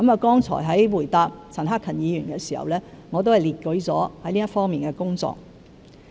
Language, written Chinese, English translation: Cantonese, 剛才在回答陳克勤議員時，我已列舉了這方面的工作。, When I answered Mr CHAN Hak - kans question earlier I have listed our work in this respect